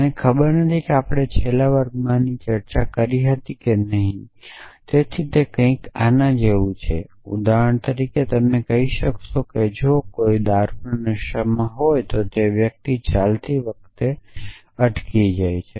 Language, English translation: Gujarati, I do not know whether we discuss in the last class this is actually the process of abduction, so it is like this for example, you might say that if somebody is drunk then that person staggers while walking